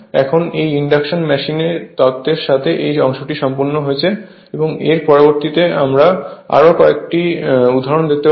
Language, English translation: Bengali, So, with this induction machine theory part is complete next we will see few examples